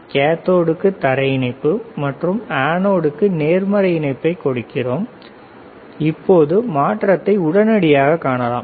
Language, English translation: Tamil, Connection we are connecting ground to cathode and positive to anode, we can immediately see the change